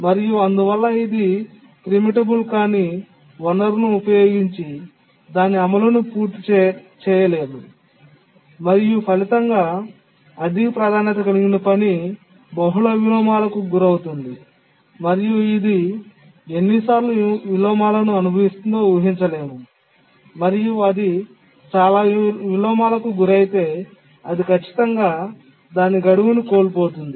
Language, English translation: Telugu, And therefore, TL is not able to get the CPU and it cannot complete its execution using the non preemptible resource and as a result the high priority tasks suffers multiple inversions and we cannot really predict how many inversions it will suffer if it suffers too manyions, then it can definitely miss its deadline